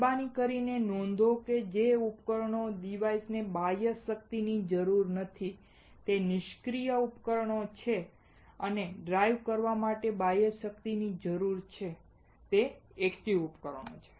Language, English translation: Gujarati, Please note that a device that does not require external power are passive devices and one that requires external power to drive are active devices